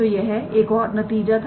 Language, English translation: Hindi, So, this is another result